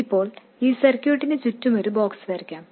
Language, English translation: Malayalam, So now let me draw a box around this circuit